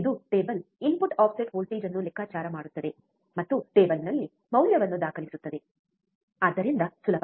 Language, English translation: Kannada, This is the table calculate input offset voltage and record the value in table, so easy right